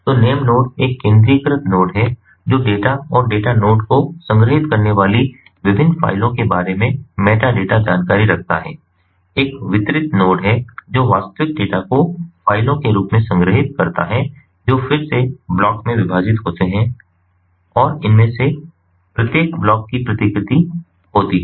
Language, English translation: Hindi, so the name node is a centralized node which maintains the metadata information about the different files, storing the data, and data node is a distributed node that stores the actual data in the form of files, which are again divided in to blocks and each of these blocks is replicated, and this is what is shown over here in this particular figure